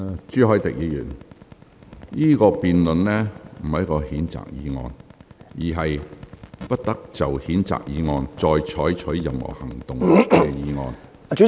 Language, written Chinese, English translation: Cantonese, 朱凱廸議員，現在辯論的不是譴責議案，而是"不得就譴責議案再採取任何行動"的議案。, Mr CHU Hoi - dick this debate is not about the censure motion . It is rather about the motion that no further action shall be taken on the censure motion